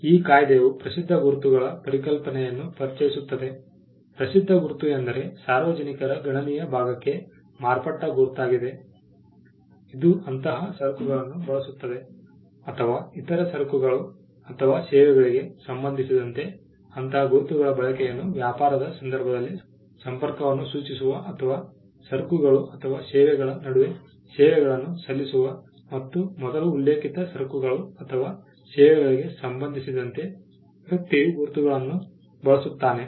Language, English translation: Kannada, The act also introduces the concept of well known marks; a well known mark means a mark which has become so to the substantial segment of the public; which uses such goods or receive such services that the use of such mark in relation to other goods or services would be likely to be taken as indicating a connection in the course of trade or rendering of services between those goods or services, and a person using the mark in relation to the first mention goods or services